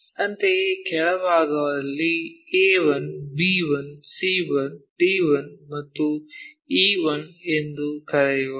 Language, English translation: Kannada, Similarly, at the bottom ones let us call A 1, B 1, C 1, D 1, and E 1